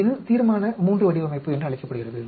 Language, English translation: Tamil, This is called Resolution III design